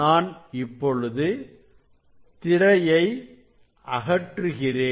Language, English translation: Tamil, So now, I will remove the screen Now, I will remove the screen